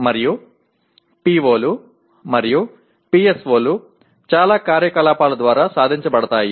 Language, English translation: Telugu, And POs and PSOs are attained through so many activities